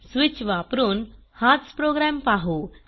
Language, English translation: Marathi, We will see the same program using switch